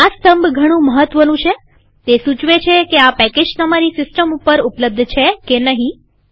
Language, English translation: Gujarati, This column is extremely important, it says whether this package is available on your system